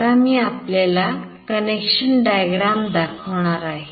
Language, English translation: Marathi, Now, I will just show you the connection diagram here